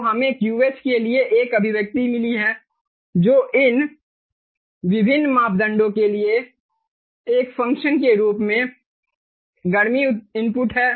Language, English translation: Hindi, ok, so we have got an expression for the qh, which is the heat input as a function of these different parameters